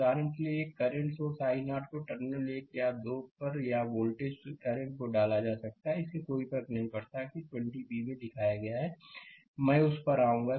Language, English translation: Hindi, For example, a current source also i 0 can be inserted at terminal 1 and 2 either voltage or current; it does not matter as shown in 20 b, I will come to that